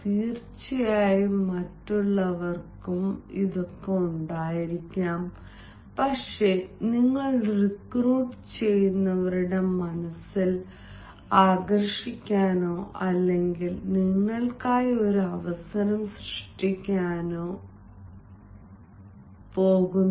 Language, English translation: Malayalam, of course others may also have, but then you are going to attract or to create an opportunity for yourself in the mind of the recruiters